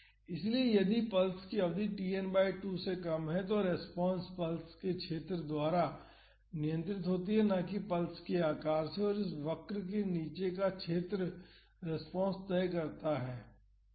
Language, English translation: Hindi, So, if the duration of the pulse is less then the response is controlled by the area of the pulse not the shape of the pulse, area under this curve decides the response